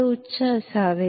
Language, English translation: Marathi, It should be high